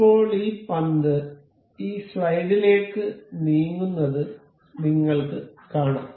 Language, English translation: Malayalam, So, now, you can see this ball can move into this slide